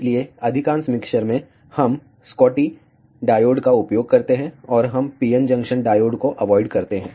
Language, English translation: Hindi, So, in most of the mixtures, we use Schottky diodes, and we avoid PN junction diodes